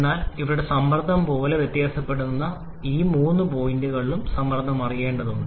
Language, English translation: Malayalam, But here as the pressure is varying so you need to know pressure at all these three points